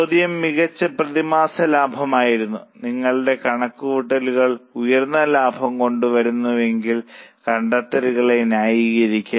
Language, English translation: Malayalam, The question was find monthly profits and if your calculation brings out higher profits kindly justify the findings